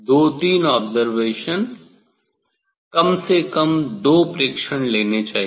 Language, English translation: Hindi, two three observation at least two observation one should take